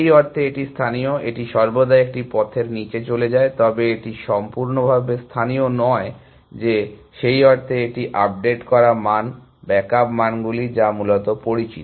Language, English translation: Bengali, This is local in the sense, it is always going down one path, but it is not completely local in the sense are it is keeping updated values, backed up values, for known essentially